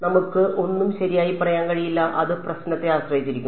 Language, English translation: Malayalam, Its we cannot say anything right it will be whatever it will depend on the problem right